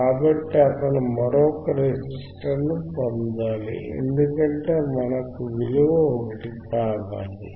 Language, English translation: Telugu, So, he has to again get a another resistor another resistor because we want value which is 1